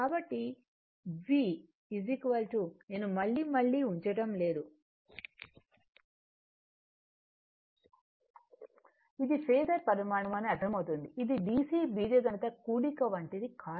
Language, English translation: Telugu, So, V is equal to do not putting I again and again phasor quantity understandable it is not like a dc algebraic sum do not do it